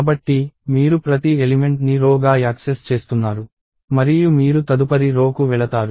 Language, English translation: Telugu, So, you are accessing each element in a row and you go to the next row and so on